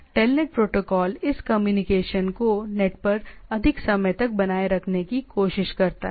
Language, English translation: Hindi, So, it TELNET protocol is more on making this communication to happen over this net right